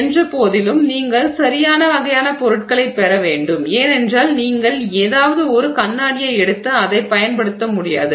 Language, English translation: Tamil, It is simply you know you have to get the right kind of materials though because I mean you cannot just take any glass and use it